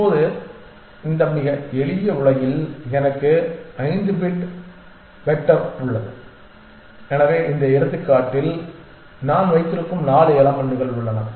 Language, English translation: Tamil, Now, in this very simple world I have a 5 bit vector and so the 4 elements that I have in this example